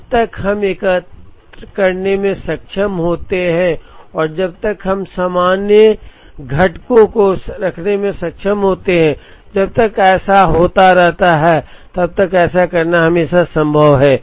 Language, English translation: Hindi, As long as we are able to aggregate and as long as we are able to have common components that keep happening, it is always possibly to do that